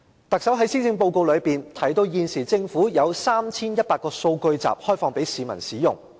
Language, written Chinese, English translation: Cantonese, 特首在施政報告中提到，政府現時已開放 3,100 個數據集供市民使用。, The Chief Executive mentioned in the Policy Address that now the Government has opened up 3 100 datasets for use by the public